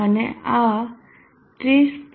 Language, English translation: Gujarati, And this is 30